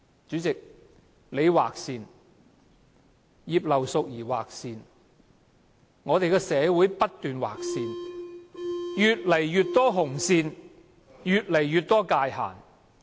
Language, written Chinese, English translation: Cantonese, 主席，你劃線，葉劉淑儀議員劃線，我們的社會不斷劃線，越來越多紅線，越來越多界限。, President you have drawn a line; Mrs Regina IP also drew a line . Our society keeps drawing lines giving us more red lines and boundaries